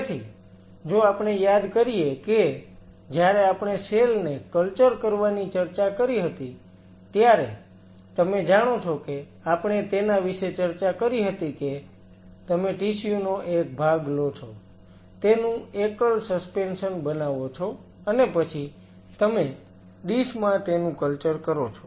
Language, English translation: Gujarati, So, if we recap, when we talked about culturing the cells, we talked about you know take a part of the tissue make a single suspension and then you culture it on a dish